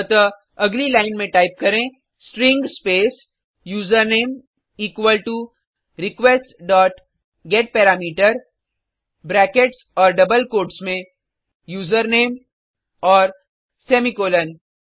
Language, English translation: Hindi, So that on the next line type, String space username equal to request dot getParameter within brackets and double quotes userName semicolon